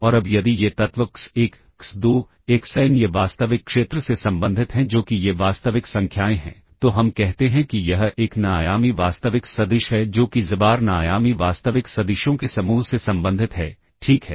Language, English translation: Hindi, And now if these elements x1, x2, xn these belong to the real field that is these are real numbers, then we say that this is an n dimensional real vector that is xbar belongs to the set of n dimensional real vectors, all right